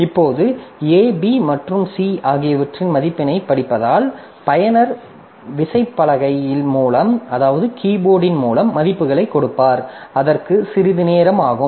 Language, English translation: Tamil, Now reading the values of A, B and C, so the user will give the values through keyboard, so it will take some time